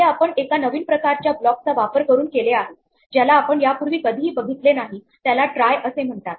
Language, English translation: Marathi, This is done using a new type of block which we have not seen before called try